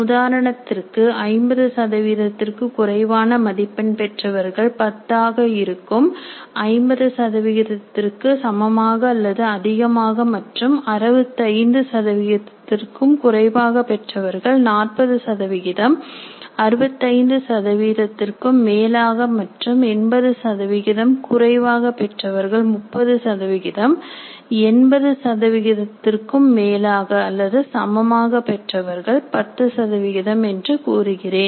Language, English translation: Tamil, Percentage of students getting greater than 65 and less than 80 marks will be 30 percent and percentage of students getting greater than 80 marks will be 30 percent and percentage of students getting greater than 65 and less than 80 marks will be 30 percent and percentage of students getting more than 80 marks or more than equal to 80 marks will be 10 percent